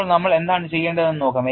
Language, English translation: Malayalam, Now, let us see what we have to do